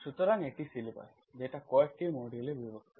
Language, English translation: Bengali, consider is the syllabus is divided into few sections, a few modules